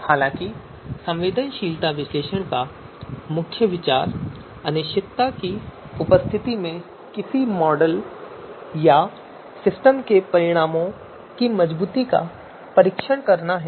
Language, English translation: Hindi, However, the main you know benefit or main idea being testing the robustness of the results of a model or system in the presence of uncertainty